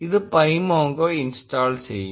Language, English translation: Malayalam, This will install pymongo